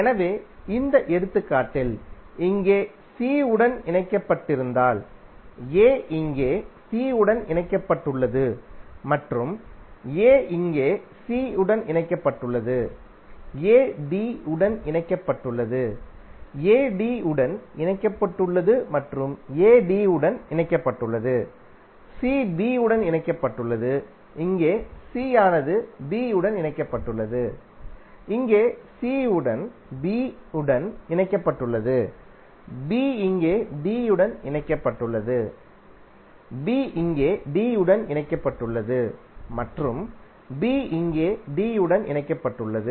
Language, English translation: Tamil, So in this example if a is connected to c here, a is connected to c here and a is connected to c here, a is connected to d, a is connected to d and a is connected to d, c is connected to b, here c is connected to b and here also c is connected to b, b is connected to d here, b is connected to d here and b is connected to d here